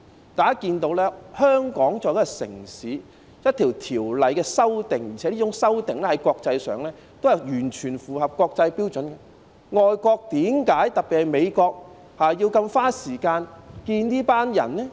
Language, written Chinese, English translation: Cantonese, 大家可以看到，香港作為一個城市，我們對一項條例作出修訂，而且有關修訂在國際上也是完全符合國際標準的，為何外國，特別是美國，要如此花時間接見這些人呢？, As we can see Hong Kong is an international city and when we introduced amendments to an ordinance particularly as these amendments are fully in line with the international standards why should foreign countries especially the United States have to spend so much time meeting with these people?